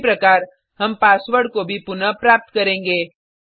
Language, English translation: Hindi, Similarly, we will retrieve the password also